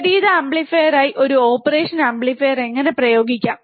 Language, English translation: Malayalam, How can we use an operational amplifier as an inverting amplifier